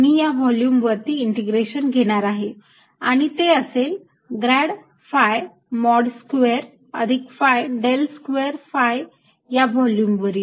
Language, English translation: Marathi, this is going to be equal to grad phi mode square over the volume, plus phi del square, phi over the volume